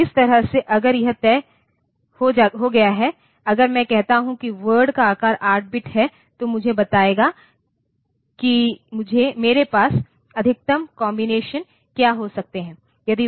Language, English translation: Hindi, So, that way, if it is fixed, if I say that the word size is say 8 bit, that will tell me what is the maximum number of combinations that I can have